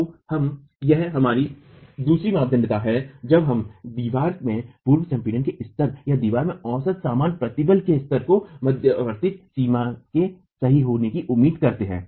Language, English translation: Hindi, So, this is our second criterion where we expect the level of average, the level of pre compression in the wall or the average normal stress in the wall to be of intermediate range